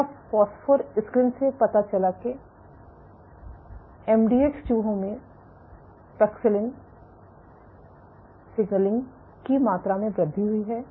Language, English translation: Hindi, So, phosphor screen revealed that increased amount of paxillin signaling in MDX mice